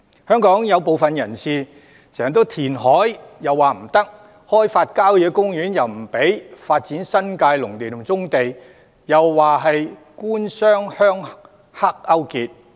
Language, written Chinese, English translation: Cantonese, 香港有部分人士反對填海，亦反對開發郊野公園，又說發展新界農地及棕地是"官商鄉黑"勾結。, Some people in Hong Kong oppose reclamation and object to developing country parks . They also labelled the development of agricultural land in the New Territories and brownfield sites as collusion of the government businesses village thugs and triads